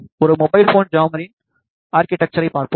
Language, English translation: Tamil, Let us have a look at the architecture of a mobile phone jammer